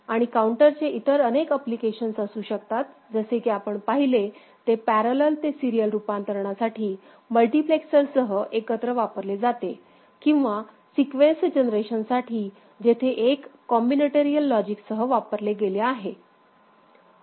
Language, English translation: Marathi, And the counters can have various other applications – the one that we have seen is parallel to serial conversion together used together with a multiplexer; or sequence generation where a combinatorial logic was used in addition ok